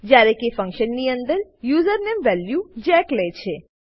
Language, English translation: Gujarati, Whereas inside the function, username takes the value jack